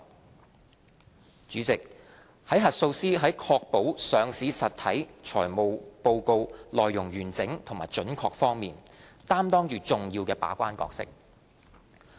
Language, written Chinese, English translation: Cantonese, 代理主席，核數師在確保上市實體財務報告內容完整及準確方面，擔當着重要的把關角色。, Deputy President auditors play the role of a key gatekeeper in assuring the integrity and accuracy of the financial reports of listed entities